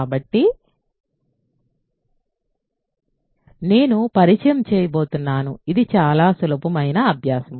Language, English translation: Telugu, So, I am going to introduce, this is a fairly easy exercise